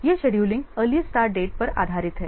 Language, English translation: Hindi, This scheduling is based on the earliest start date